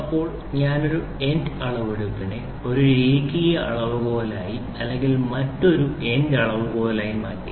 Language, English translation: Malayalam, Now I have converted an end measurement into a linear measurement or an end another end measurement